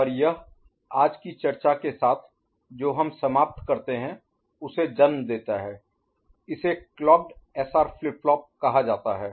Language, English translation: Hindi, And this gives rise to what we end with today’s discussion is called clocked SR flip flop, ok